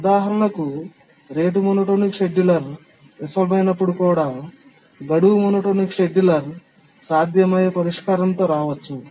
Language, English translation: Telugu, For example, even when the rate monotonic scheduler fails, the deadline monotonic scheduler may come up with a feasible solution